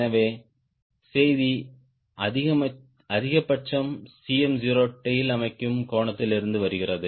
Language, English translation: Tamil, so message is: maximum cm naught comes from tail setting angle